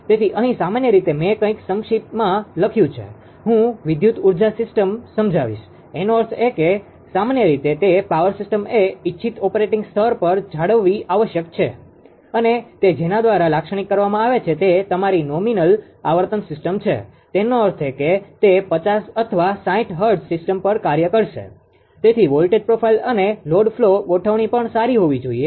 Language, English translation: Gujarati, So, ah here what ah that ah generally ah brief something something, I have written, I will explain that an electric energy system; that means, in general, it is a power system must be maintained at the desired operating level characterized by one is the nominal your ah frequency nominal system frequency; that means, it will operate ah at a 50 or 60 hertz system, right there, it should be operating its voltage ah profile also should be you know ah good and load flow configuration, right